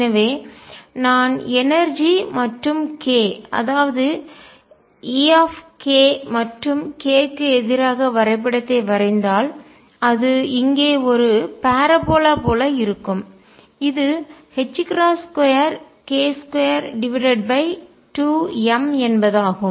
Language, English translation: Tamil, So, if I would plot energy versus k, E k versus k it would look like a parabola here, this is h cross square k square over 2 m